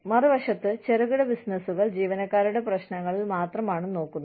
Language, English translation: Malayalam, On the other hand, small businesses are only concerned with, employee issues